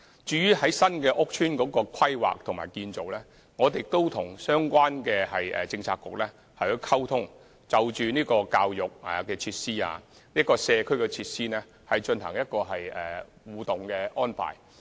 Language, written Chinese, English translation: Cantonese, 至於新屋邨規劃和建造，我們也與相關政策局溝通，就教育設施和社區設施進行互動安排。, On the planning and building of new estates we will also communicate with relevant Bureaux and make collaborated arrangements for education and communal facilities